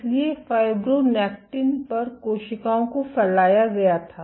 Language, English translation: Hindi, So, on fibronectin the cells were spread